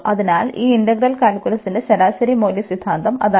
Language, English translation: Malayalam, And we will be continuing our discussion on integral calculus